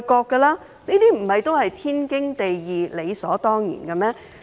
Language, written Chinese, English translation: Cantonese, 這些不都是天經地義，理所當然的嗎？, Do they sound perfectly natural and justified?